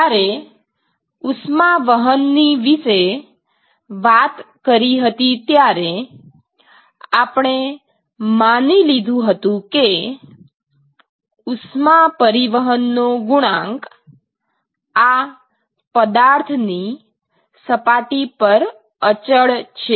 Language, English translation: Gujarati, Now, earlier we would assume that the heat transport coefficient is actually constant along the surface of this object